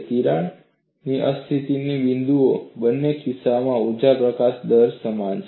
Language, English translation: Gujarati, At the point of crack instability, the energy release rate is same in both the cases